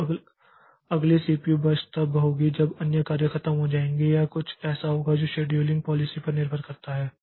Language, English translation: Hindi, So, next CPU birds will be coming when other jobs are over or something like that depending on the scheduling policy